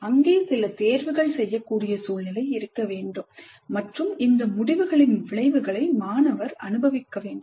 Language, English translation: Tamil, And the situation, the experience must be such that learners can make decisions, there are choices and the consequences of these decisions must be experienced by the student